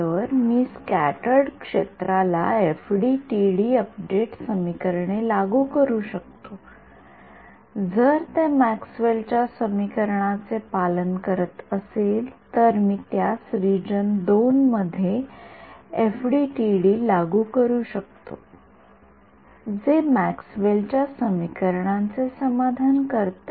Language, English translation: Marathi, So, what no I can apply FDTD update equations to scattered field right if it obeys Maxwell’s equations I can apply FDTD to it in region II what satisfies Maxwell’s equations